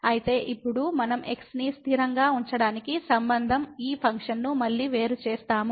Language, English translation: Telugu, So now we will again differentiate this function with respect to keeping constant